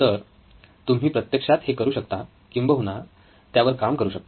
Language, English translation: Marathi, So, you can actually do this, work on this